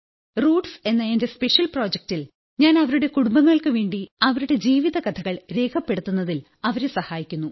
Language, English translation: Malayalam, In my special project called 'Roots' where I help them document their life stories for their families